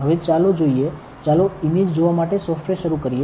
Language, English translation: Gujarati, Now, let us look at the, let us start the software to see the image